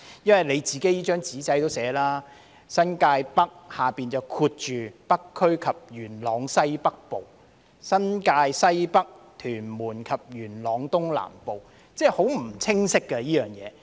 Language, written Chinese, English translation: Cantonese, 因為局方的"紙仔"也寫了，"新界北"下面括着"北區及元朗區西北部"，"新界西北"則括着"屯門區及元朗區東南部"，即是說這些選區名稱是非常不清晰的。, As written in the paper of the Bureau North and north - western part of Yuen Long is bracketed under NT North whereas Tuen Mun and south - eastern part of Yuen Long is bracketed under NT North West; that is to say these GC names are very unclear